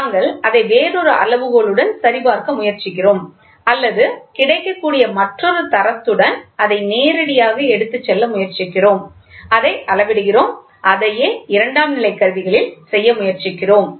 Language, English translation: Tamil, So, we try to check it to another scale or we directly try to take it with another standard which is available and measure it and see that is what we are trying to do in secondary instruments